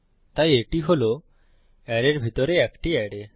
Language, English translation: Bengali, So it is an array inside an array